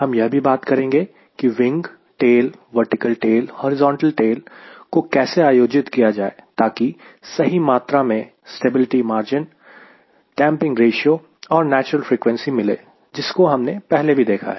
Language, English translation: Hindi, in turned, we will talk about how to layout wing tail, vertical tail, horizontal tail, so that we have right amount of stability margins, its damping ratio, its natural frequency, which already we have some exposure